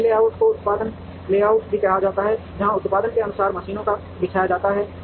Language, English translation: Hindi, Line layout is also called the product layout, where according to product the machines are laid out